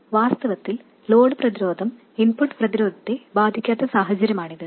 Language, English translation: Malayalam, In fact this is a case where the load resistance does not affect the input resistance